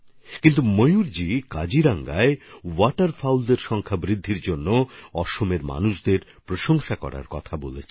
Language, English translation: Bengali, But Mayur ji instead has asked for appreciation of the people of Assam for the rise in the number of Waterfowls in Kaziranga